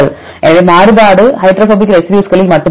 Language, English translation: Tamil, So, the variability is only among the hydrophobic residues